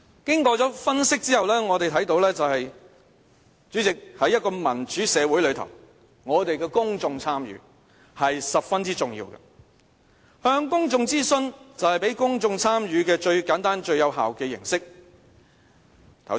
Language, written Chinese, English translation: Cantonese, 經過分析後，主席，我們看到在一個民主社會中，公眾參與十分重要，向公眾諮詢就是讓公眾參與最簡單和最有效的形式。, After doing some analyses President we can see that a democratic society attaches great importance to the public engagement . A public consultation is the simplest and most effective form of engaging the public